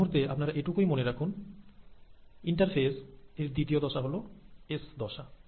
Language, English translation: Bengali, But, for the time being, you remember that the second phase of interphase is the S phase